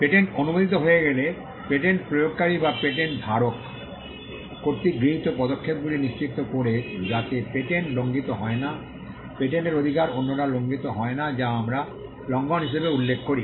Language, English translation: Bengali, Once the patent is granted, then the enforcement of a patent which refers to steps taken by the patent holder to ensure that the patent is not violated, the right in the patent is not violated by others which is what we refer to as infringement